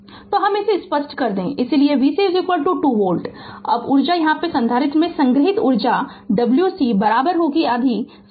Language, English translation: Hindi, So, let me clear it so that that is why v C is equal to 2 volt now energy here what you call energy stored in the capacitor is Wc is equal to half C v C square